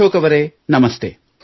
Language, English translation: Kannada, Ashok ji, Namaste